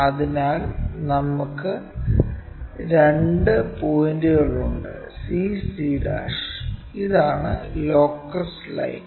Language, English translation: Malayalam, So, we have two points c and c'; this is the locus line